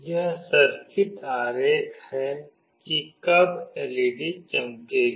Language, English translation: Hindi, This is the circuit diagram, when the LED will glow